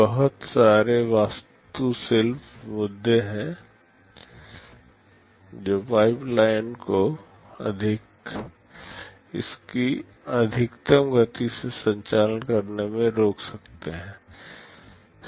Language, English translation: Hindi, There are a lot of architectural issues that can prevent the pipeline from operating at its maximum speed